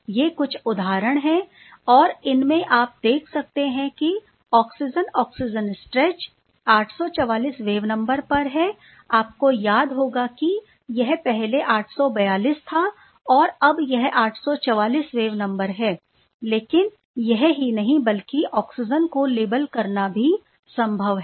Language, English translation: Hindi, These are some of the representative example and these were done quite beautifully as you have seen the oxygen oxygen stretch remember it was 842 is I believe, now it is 844 wave number or exactly 844 wave number previously and not only that it is also possible to label the oxygen